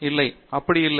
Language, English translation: Tamil, No, it is not like that